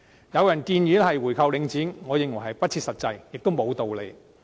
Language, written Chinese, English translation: Cantonese, 有人建議購回領展，我認為不切實際，亦沒有道理。, Some people have proposed buying back Link REIT which I consider impractical and unreasonable